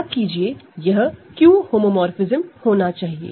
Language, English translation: Hindi, So, remember it is supposed to be a Q homomorphism